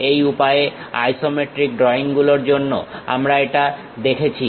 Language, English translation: Bengali, This is the way we have seen for isometric drawings this one